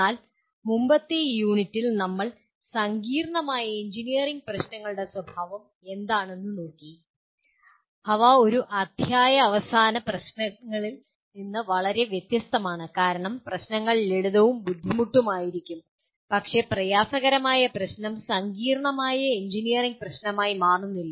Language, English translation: Malayalam, And in the earlier unit we looked at what is the nature of complex engineering problems and we noted that they are significantly different from the end chapter difficult problems because problems can be simple and difficult but a difficult problem does not become a complex engineering problem